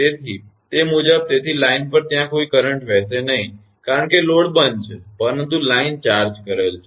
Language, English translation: Gujarati, So, according to that; so line there will be no current flowing, because the load is switched off, but line is charged